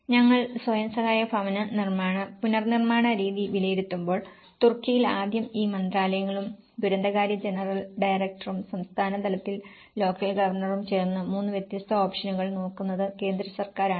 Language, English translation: Malayalam, When we assess the self help housing reconstruction method, we see that in Turkey first of all the central government which these ministries and the general director of disaster affairs and with the local governor of the state level, they look at the 3 different options